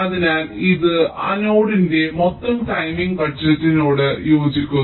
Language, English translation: Malayalam, so this corresponds to the total timing budget of that node